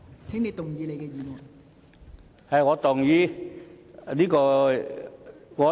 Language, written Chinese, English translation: Cantonese, 請動議你的議案。, Please move your motion